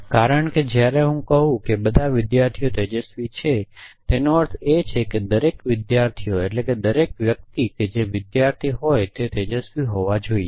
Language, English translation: Gujarati, Because when I say all students are bright it means that each and every students that each and every person whose the student must be bright